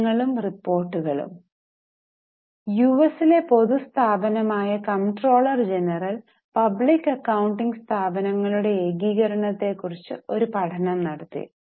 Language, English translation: Malayalam, Studies and reports, the Comptroller General of US, which is a public body, they conducted a study on consolidation of public accounting firms